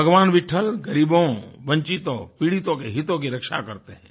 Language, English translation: Hindi, Lord Vitthal safeguards the interests of the poor, the deprived ones and the ones who are suffering